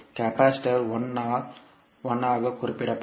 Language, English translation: Tamil, Capacitor will be represented as 1 by s